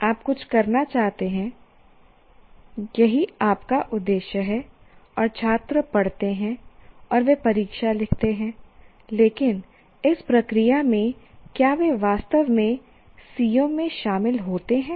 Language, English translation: Hindi, You want to do something that is your intention and the students read and study and the right exams, but in that process have they really attained the CBOs